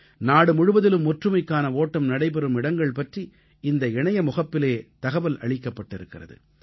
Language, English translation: Tamil, In this portal, information has been provided about the venues where 'Run for Unity' is to be organized across the country